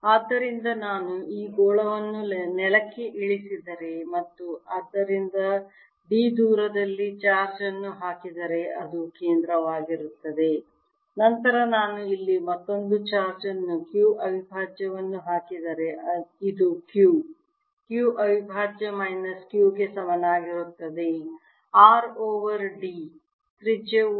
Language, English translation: Kannada, so what i have found is that if i have this sphere which is grounded, and i put a charge at a distance d from its centre, then if i put another charge here, q prime, this is q, q prime equals minus q r over d